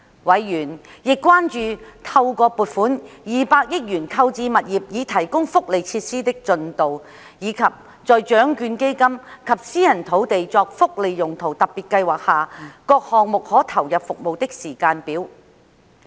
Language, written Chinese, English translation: Cantonese, 委員亦關注到透過撥款200億元購置物業以提供福利設施的進度，以及在獎券基金及私人土地作福利用途特別計劃下各項目可投入服務的時間表。, Members were also concerned about the progress of providing welfare facilities through the 20 billion allocation for the purchase of properties and the schedule of service commencement of the various projects under the Lotteries Fund and the Special Scheme on Privately Owned Sites for Welfare Uses